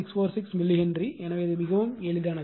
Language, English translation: Tamil, 646 millihenry so, very simple it is right